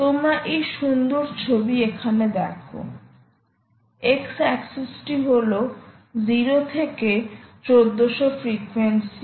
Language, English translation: Bengali, you see this nice picture here: ah, on the x axis is the frequency: ok, zero, two thousand four hundred